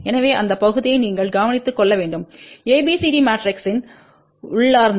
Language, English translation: Tamil, So, you have to take care of that part which is inherent of ABCD matrix